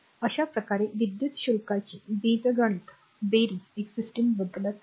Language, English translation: Marathi, Thus, the algebraic sum of the electric charge is a system does not change